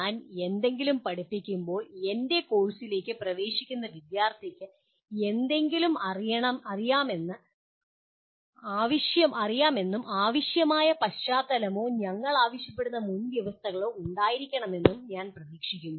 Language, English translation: Malayalam, When I teach something, I am expecting the student entering into my course to know something, to have the required background or required prerequisites as we call it